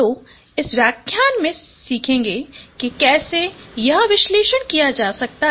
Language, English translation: Hindi, So we will learn in this lecture how this analysis could be done